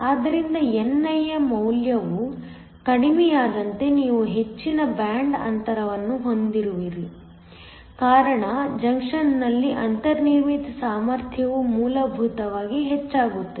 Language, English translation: Kannada, So, as the value of ni goes down because you have a higher band gap the built in potential at the junction essentially increases